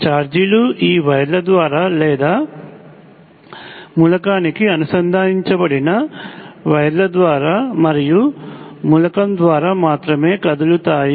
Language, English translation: Telugu, It turns out that the charges move only through these wires or through the wires connected to the element, and through the element itself